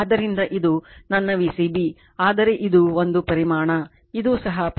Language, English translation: Kannada, So, this is my V c b, but this is a magnitude this is also magnitude